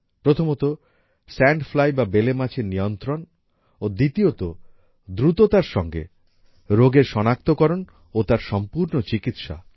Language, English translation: Bengali, One is control of sand fly, and second, diagnosis and complete treatment of this disease as soon as possible